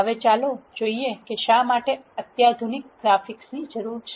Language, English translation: Gujarati, Now, let us see why there is a need for sophisticated graphics